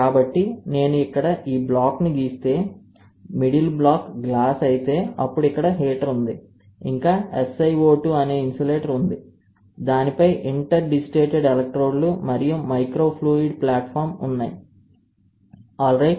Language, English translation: Telugu, So, if I draw this block here then the middle block is a glass, then there is a heater, then there is an insulator which is a SI O 2 on which there is there are interdigitated electrodes and microfluidic platform, alright